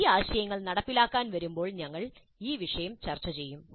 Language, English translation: Malayalam, We'll discuss this issue when we come to the implementation of these ideas